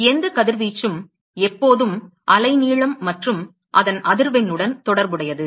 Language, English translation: Tamil, So, any radiation is always associated with the wavelength and its frequency